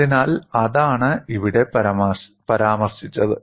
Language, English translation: Malayalam, So, that is what is mentioned here